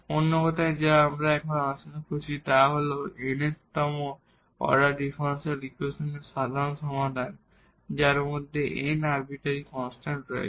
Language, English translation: Bengali, In other words what we have also discussed here the general solution of nth order differential equation which contains n arbitrary constants